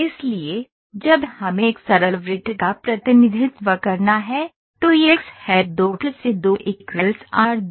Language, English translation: Hindi, So, when we have to represent a simple circle, it is x square plus y square is equal to r square